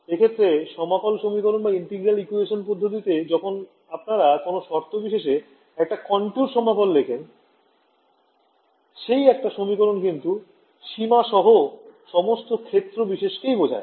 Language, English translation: Bengali, In the case of the integral equation method when you write a contour integral on the boundary, that one equation involves all the fields along the contour